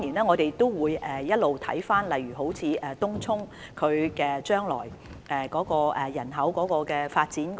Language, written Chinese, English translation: Cantonese, 我們會一直監察整體情況，例如東涌日後的人口發展。, We will keep monitoring the overall situation such as future population development in Tung Chung